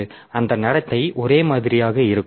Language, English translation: Tamil, So, that is that behavior will be same